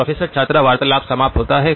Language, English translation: Hindi, “Professor student conversation ends